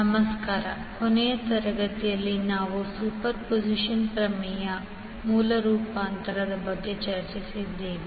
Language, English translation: Kannada, Namaskar, so in the last class we discussed about Superposition Theorem and the source transformation